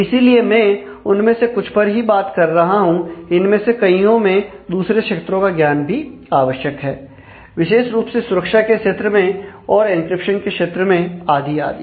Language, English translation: Hindi, So, and I am talking about only a few of them because, the many of them require knowledge about several other fields particularly, in the field of security and an encryption and so on